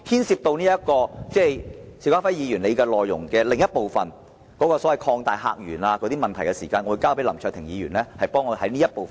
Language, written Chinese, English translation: Cantonese, 邵家輝議員議案的另一部分，有關擴大客源的問題，我會交給林卓廷議員代為論述。, The other part of Mr SHIU Ka - fais motion is on opening new visitor sources and I will leave it to Mr LAM Cheuk - ting to talk about it